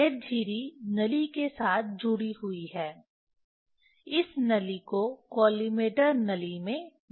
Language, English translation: Hindi, This slit attached with a tube that tube is inserted into the collimator tube